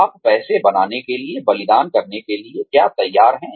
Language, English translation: Hindi, What are you willing to sacrifice, to make money